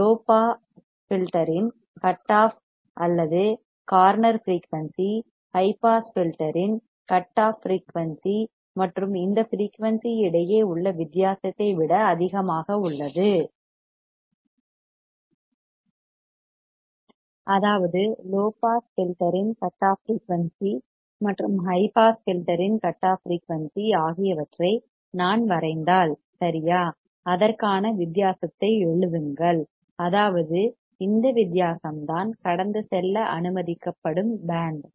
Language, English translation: Tamil, The cutoff or corner frequency of low filter is higher than the cutoff frequency of high pass filter and the difference between this frequency; that means, if I draw right the cutoff frequency of the low pass filter and the cutoff frequency of high pass filter write the difference between it; that means, this is the difference that is the band which will be allowed to pass